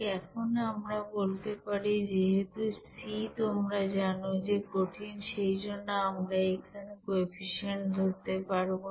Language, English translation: Bengali, Now we can say that since c is you know solid, since c is solid we can, we cannot consider here this you know coefficient there